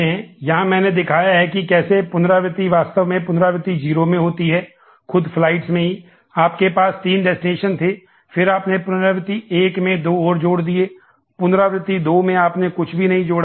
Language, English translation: Hindi, Here, I have shown that how the iteration actually happens in the iteration 0, in the flights itself, you had three destinations, then you add two more in iteration 1, in iteration 2, you do not add anything else